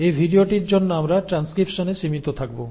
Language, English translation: Bengali, For this video we will stick to transcription